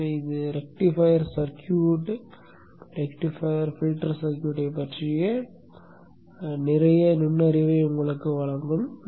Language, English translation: Tamil, So this would give you a lot of insight into the rectifier circuit, rectifier filter circuit in cell